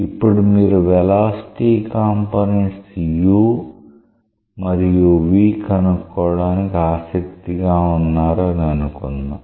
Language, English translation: Telugu, Now, let us say that you are interested to find out the velocity components u and v